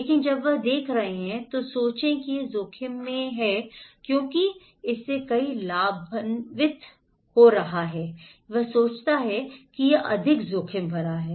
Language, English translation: Hindi, But when they are seeing, think that he is at risk because someone is benefitting out of it, he thinks this is more risky